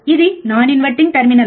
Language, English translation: Telugu, Then we have the inverting input terminal